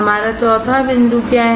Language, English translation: Hindi, What is our fourth point